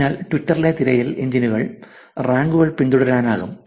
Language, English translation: Malayalam, So, search engines in Twitter can rank, actually follow ranks